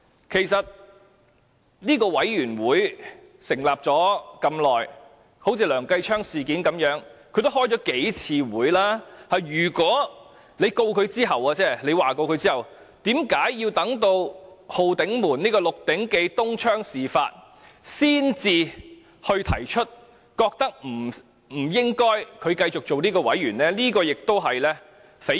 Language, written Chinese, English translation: Cantonese, 其實，這個專責委員會成立了一段時間，就梁繼昌議員的事件也曾召開數次會議，如果他要控告他及譴責他，為何要等到"浩鼎門"、"6 鼎記"東窗事發才指出，他不應繼續擔任專責委員會員委員？, The Select Committee has actually been established for some time and it has held a few meetings on matters related to Mr Kenneth LEUNG . If LEUNG Chun - ying wanted to sue and censure Mr Kenneth LEUNG why did he only claim that Mr Kenneth LEUNG should not continue to be a member of the Select Committee after the 689 - Holden scandal came to light?